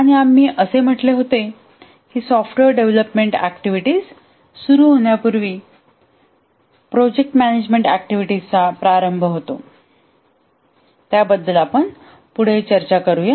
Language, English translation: Marathi, And we had said that the project management activities start much before the software development activity start